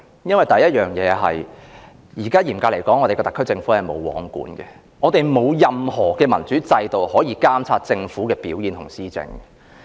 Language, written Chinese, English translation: Cantonese, 因為，第一，特區政府嚴格來說是"無皇管"的，我們沒有任何民主制度可以監察政府的表現和施政。, It is because first and strictly speaking the SAR Government is not subject to any regulation in the absence of any democratic system to monitor its performance and administration